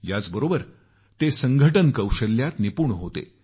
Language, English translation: Marathi, Along with that, he was also adept at organising skills